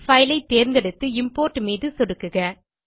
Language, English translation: Tamil, I will choose the file and click on Import